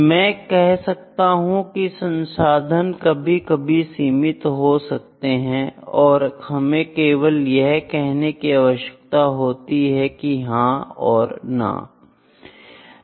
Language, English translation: Hindi, In other way I can say that the resource is the limited sometimes and we just need to say whether yes or no